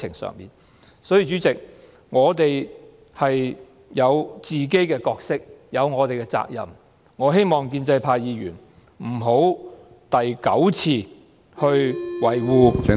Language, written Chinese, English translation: Cantonese, 所以，主席，我們有自己的角色和責任，我希望建制派議員不要第九次維護......, Therefore President we have our own roles and responsibilities . I hope Members from the pro - establishment camp will not defend for the ninth time